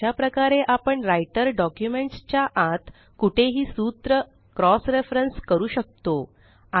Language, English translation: Marathi, So this is how we can cross reference Math formulae anywhere within the Writer document